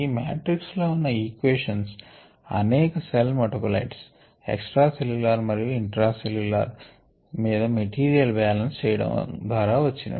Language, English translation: Telugu, therefore, this matrix represents the set of equations that we got by doing material balances on the various metabolites, on the cell, extracellular and intracellular